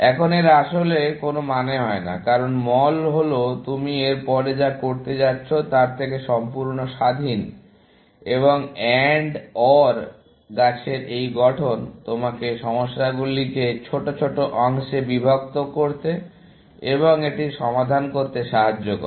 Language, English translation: Bengali, Now, that does not really make sense, because mall is independent of what you are going to do after that, and this formulation of AND OR tree, allows you to break up the problems into smaller parts, and solve it, essentially